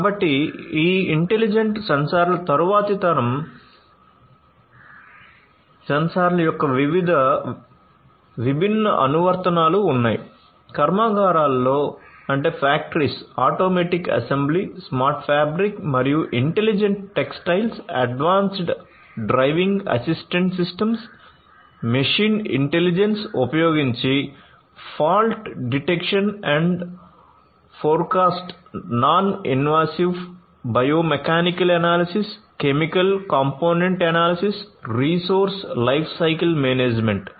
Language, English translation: Telugu, Automatic assembly in factories, smart fabric and intelligent textiles, advanced driving assistance systems, fault detection and forecast using machine intelligence, non invasive biomechanical analysis, chemical component analysis resource lifecycle management